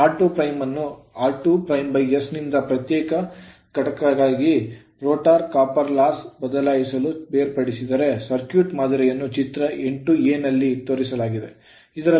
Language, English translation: Kannada, Now, if r 2 dash is separated from r 2 dash by s to replacing the rotor copper loss as a your separate entity the circuit model is shown in figure 8 a right